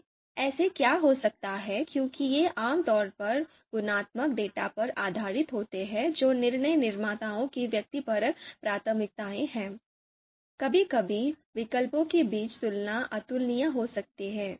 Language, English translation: Hindi, Now what might happen because these are typically based on qualitative data which is subjective preferences of decision makers, so sometimes comparison between alternatives might be you know incomparable